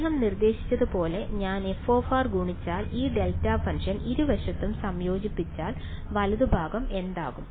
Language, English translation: Malayalam, So, as he suggested the intuition is that if I multiply f of r and now integrate this delta function on both sides what will the right hand side become